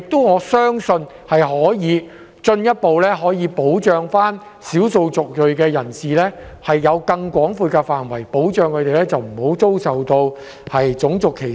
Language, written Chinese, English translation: Cantonese, 我相信，這樣可以進一步保障少數族裔人士，因為更廣闊的保障範圍讓他們不再受到種族歧視。, I believe this can provide further protection for EM members as the expanded scope of protection can shield them from racial discrimination